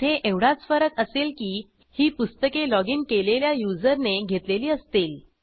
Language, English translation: Marathi, Here the difference will be that we have to display the books for the logged in user